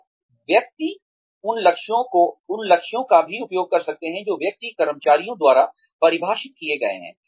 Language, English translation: Hindi, So, one can also use the goals, that are defined by individual employees